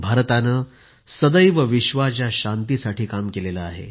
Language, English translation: Marathi, India has always strove for world peace